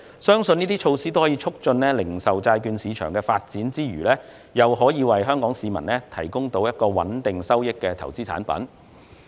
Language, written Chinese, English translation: Cantonese, 相信這些措施在促進零售債券市場發展之餘，亦可為香港市民增添一種可提供穩定收益的投資產品。, It is believed that these measures will facilitate the development of the retail bond market while offering Hong Kong people another investment product with stable returns